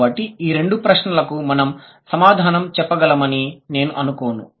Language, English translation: Telugu, So, these are the two questions which I don't think we can answer